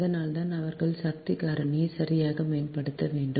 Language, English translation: Tamil, thats why they have to improve the power factor right